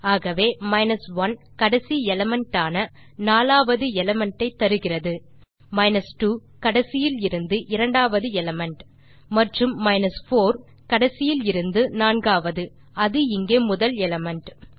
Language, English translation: Tamil, So, 1 gives the last element which is the 4th element , 2 gives second element to last and 4 gives the fourth from the last which, in this case, is the element first